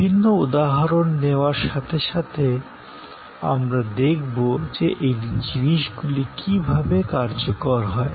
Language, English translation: Bengali, As we take different examples, we will see how these things are play out